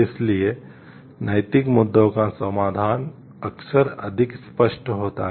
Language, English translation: Hindi, So, resolution of moral issues is often more obvious